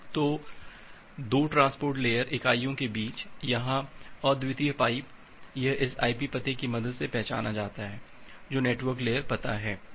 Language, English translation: Hindi, So, unique pipe here between 2 transport layer entity, it is identified with the help of this IP address, which is the network layer address